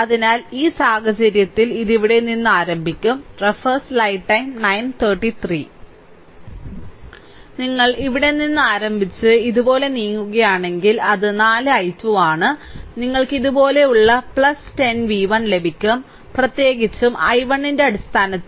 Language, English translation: Malayalam, If you move like these starting from here, so it is 4 i 2 right, you come like these plus 10 v 1 right v 1 especially got in terms of i 1